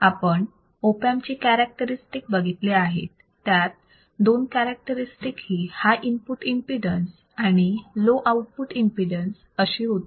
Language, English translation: Marathi, We have seen the Op Amp characteristics, two characteristics of opamp are the high input impedance and low output impedance